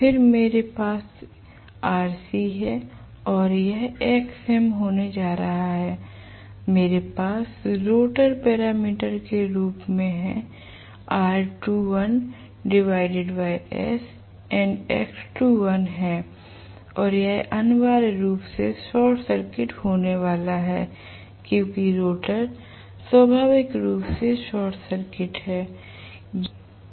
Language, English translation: Hindi, Then, I have rc and this is going to be xm and what I have as the rotor parameters, I am going to have this as r2 dash by s and x2 dash and this is going to be essentially short circuited because the rotor is inherently short circuited